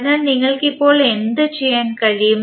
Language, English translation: Malayalam, So, what you can do now